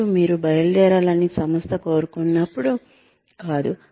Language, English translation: Telugu, And not when, the organization wants you to leave